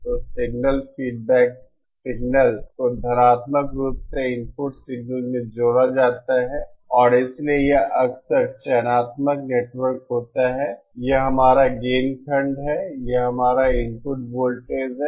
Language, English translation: Hindi, So the signal, the feedback signal is positively added to the input signal and so this is a frequently selective network, this is our gain block, this is our input voltage